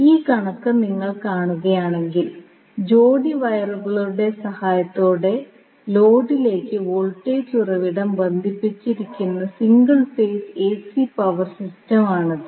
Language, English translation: Malayalam, So, that means, if you see this particular figure, this is a single phase AC power system where you have voltage source connected to the load with the help of the pair of wires